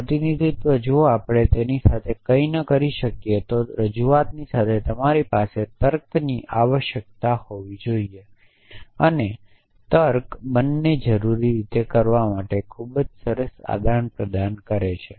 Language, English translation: Gujarati, Representation if we cannot do something with it so along with representation you must have reasoning’s essentially and logic provides a very nice vehicle for doing both essentially